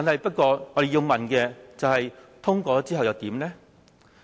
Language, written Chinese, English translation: Cantonese, 不過，我們要問，通過之後又如何呢？, But what is going to happen after the passage of the motion?